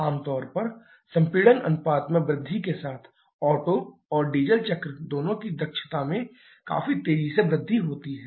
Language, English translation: Hindi, Generally, with the increase in compression ratio efficiency of both Otto and Diesel cycle increases quite sharply